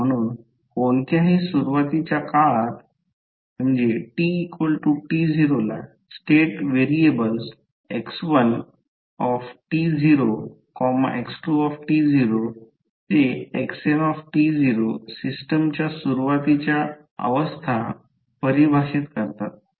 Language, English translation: Marathi, So, at any initial time that t equal to 0 the state variables that x1t naught or x2t naught define the initial states of the system